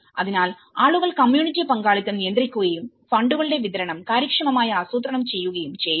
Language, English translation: Malayalam, So, the population, the community participation controlling and efficiently planning the distribution of funds